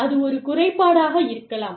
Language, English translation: Tamil, And, that can be a drawback in